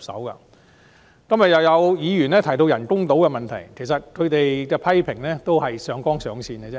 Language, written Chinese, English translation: Cantonese, 今天再有議員提及人工島的問題，其實他們的批評是上綱上線。, Today some Members once again raised the issue of artificial islands . Their criticisms are actually unduly overplaying the matter